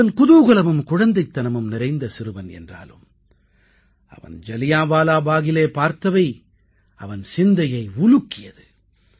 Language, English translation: Tamil, A happy and agile boy but what he saw at Jallianwala Bagh was beyond his imagination